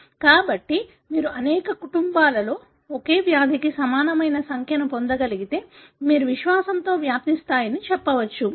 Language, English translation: Telugu, So, if you could get a very similar number for the same disease in a number of families, you can with confidence say the penetrance level